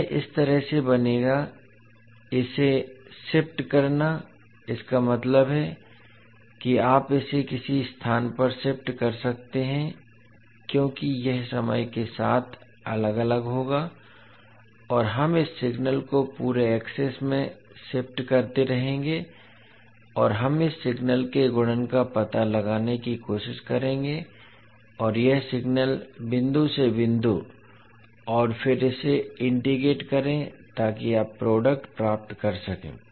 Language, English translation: Hindi, So this will become like this, shifting it, shifting it means you can shift it at some location because it will vary with respect to time and we will keep on shifting this signal across the access and we will try to find out the multiplication of this signal and this signal point by point and then integrate it so that you can get the product